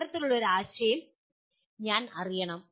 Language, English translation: Malayalam, I should know that kind of a concept